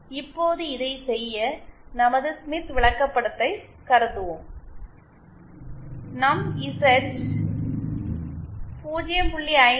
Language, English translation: Tamil, Now to do this, let us consider our Smith chart, our Z equal to 0